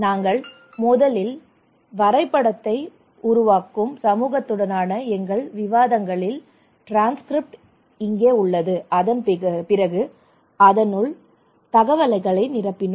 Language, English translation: Tamil, Here is a transcript of our discussions with the community we develop the map first and then we put the data into it